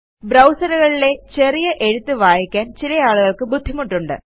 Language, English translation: Malayalam, Some people have trouble looking at small script in their browsers